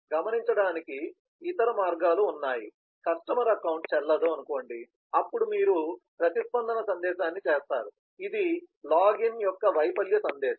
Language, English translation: Telugu, there are other ways of noting that, so you say if customer invalid, then you will do a response message, which is login failure message